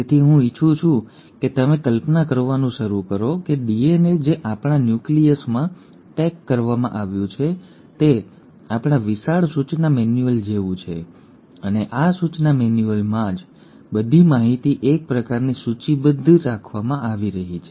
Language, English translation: Gujarati, So I want you to start imagining that DNA which is packaged in our nucleus is like our huge instruction manual, and it is in this instruction manual that all the information is kind of catalogued and kept